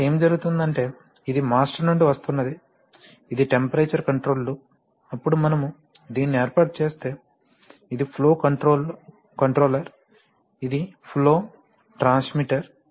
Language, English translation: Telugu, So, what will happen is that, so if you set up, so this is the one coming from the master, say temperature control loop, then if we set up this is a flow controller, this is the, this is the flow transmitter